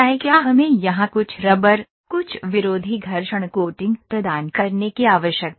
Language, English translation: Hindi, Do we need to provide some rubber, some anti friction coating here